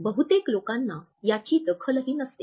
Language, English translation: Marathi, Most people do not even notice them